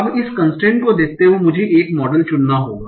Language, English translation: Hindi, Now, so now, given this constraint, I have to choose one model